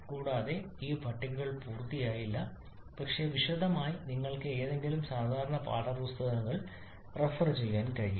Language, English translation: Malayalam, But also this tables are not complete but for a detailed you can refer to any standard textbooks